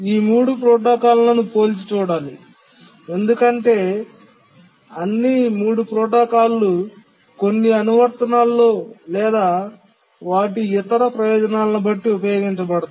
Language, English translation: Telugu, Now let's compare these three protocols that we looked at because all the three protocols are used in some application or other depending on their advantages